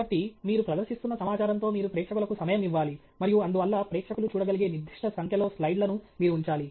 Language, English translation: Telugu, So, you have to give audience time with the information you are presenting, and therefore, you have to keep a certain a reasonable number of slides that the audience can see okay